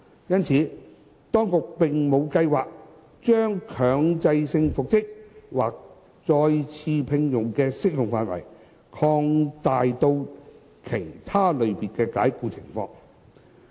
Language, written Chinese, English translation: Cantonese, 因此，當局並無計劃將強制性復職或再次聘用的適用範圍擴大至其他類別的解僱情況。, Hence the Administration has no plan to extend compulsory reinstatement or re - engagement to other types of dismissal